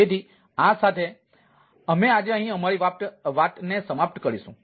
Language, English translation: Gujarati, so with this, ah, we will end our ah talk today